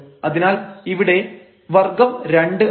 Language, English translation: Malayalam, So, this is 1 here